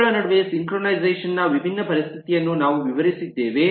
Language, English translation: Kannada, we have explained the different situation of synchronization between them